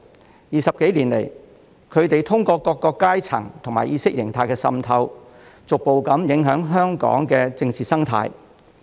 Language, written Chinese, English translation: Cantonese, 過去20多年來，他們通過各階層和意識形態滲透，逐步影響香港的政治生態。, Over the past two decades and more they have gradually influenced the political ecology of Hong Kong through ideological infiltration at various levels